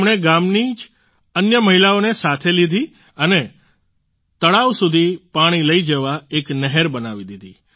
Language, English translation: Gujarati, She mobilized other women of the village itself and built a canal to bring water to the lake